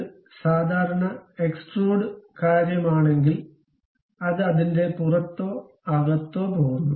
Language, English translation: Malayalam, If it is the typical extrude thing, it goes either outside or inside of that